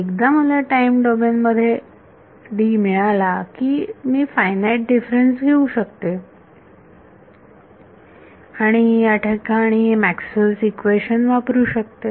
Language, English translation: Marathi, Once I get D in the time domain, I can take finite differences and use Maxwell’s equations over here